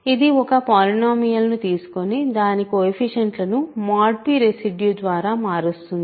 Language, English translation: Telugu, It takes a polynomial and simply changes the coefficients by the residues mod p